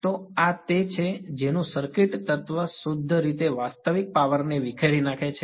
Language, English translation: Gujarati, So, this is its what circuit element has purely real power dissipated in a